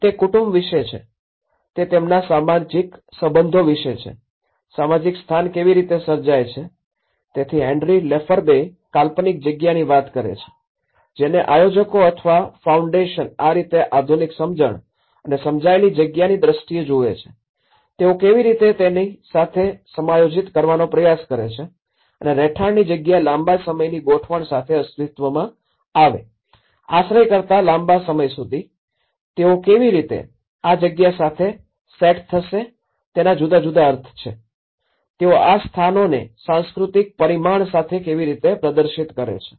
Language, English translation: Gujarati, It is about the family, it is about their social relationship, how the social space is created, so Henri Lefebvre talks from the conceived space, which the planners or the foundation have vision like this in a modernistic understanding and the perceived space, how they try to adjust with it and the lived space come with a longer run adjustments, longer than accommodation, how the habitual practices set this place with a different meanings, how they manifest these places with the cultural dimension